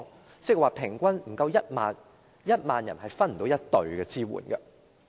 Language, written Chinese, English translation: Cantonese, 換言之，平均每1萬人也沒有1隊人手支援。, In other words on average for every 10 000 people there is not even one team providing support